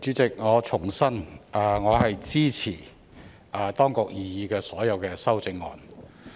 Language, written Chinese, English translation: Cantonese, 代理主席，我重申，我支持當局的所有擬議修正案。, Deputy Chairman I would like to reiterate that I support all of the Administrations proposed amendments